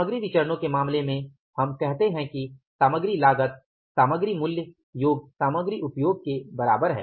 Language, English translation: Hindi, In case of the material cost material variances, we said that MCV is equal to MPV plus MUV